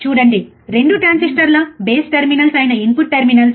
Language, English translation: Telugu, See, the input terminals which are the base terminals of 2 transistor